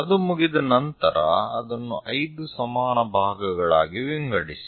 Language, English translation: Kannada, Once it is done, divide that into 5 equal parts